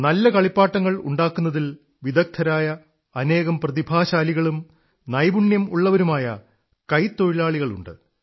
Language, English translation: Malayalam, There are many talented and skilled artisans who possess expertise in making good toys